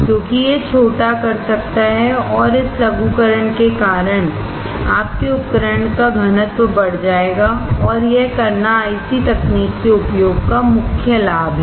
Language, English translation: Hindi, Because it can miniaturize and because of this miniaturization, your equipment density would increase, and that is the main advantage of using IC technology